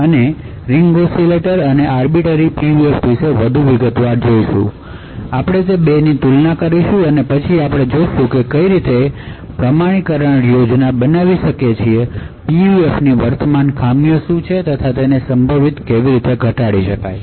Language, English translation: Gujarati, We will look more in detail about the Ring Oscillator and Arbiter PUF, we will compare the 2 of them and then we will actually see how we could build authentication schemes, what are the current drawbacks of PUFs and how potentially they can be mitigated